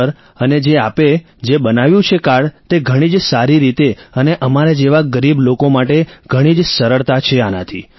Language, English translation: Gujarati, Sir and this card that you have made in a very good way and for us poor people is very convenient